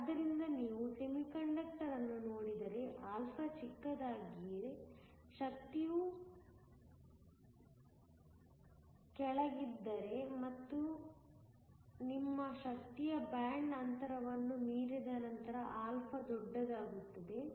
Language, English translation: Kannada, So, if you look at a semiconductor α is small, if the energy is below Eg and then α becomes large once your energy exceeds the band gap